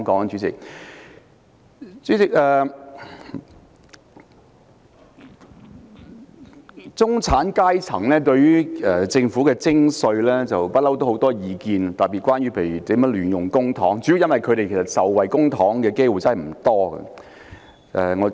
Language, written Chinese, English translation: Cantonese, 主席，中產階層對於政府徵稅，特別是亂用公帑，一直很有意見，主要因為他們受惠於公帑的機會不多。, President the middle class have long been aggrieved by the levy of tax and in particular the squandering of public money . That is mainly because they rarely benefit from public spending